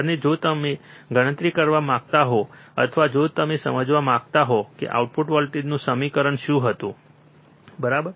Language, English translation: Gujarati, And if you want to calculate, or if you want to understand what was the equation of the output voltage, right